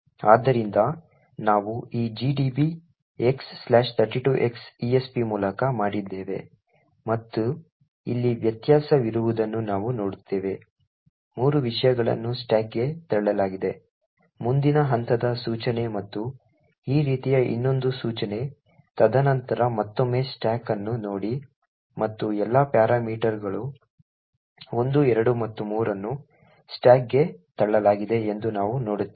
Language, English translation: Kannada, So that we have done by this x 32x followed $esp and we see that there is a difference here the contents of 3 have been pushed on to the stack, single step through the next instruction like this and one more instruction like this and then look at the stack again and we see that all the parameters 1, 2 and 3 have been pushed on to the stack